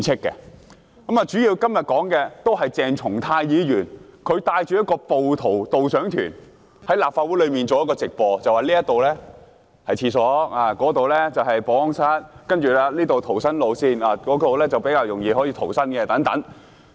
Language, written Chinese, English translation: Cantonese, 今天，我們主要討論的，是鄭松泰議員帶着"暴徒導賞團"，在立法會內進行直播，介紹哪裏是洗手間，哪裏是保安室，哪裏是逃生路線，哪裏比較容易逃生等。, Today the focus of our discussion is the guided tour for rioters which was led by Dr CHENG Chung - tai who did a live broadcast to talk about things like the locations of the washrooms the security rooms the escape routes and the easiest way out